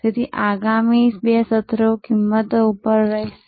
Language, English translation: Gujarati, So, next two sessions will be on pricing